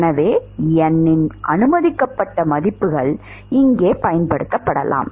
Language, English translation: Tamil, So, those are the permitted values of n that can be applied here